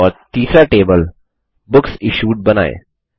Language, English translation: Hindi, And let us create the third table: Books Issued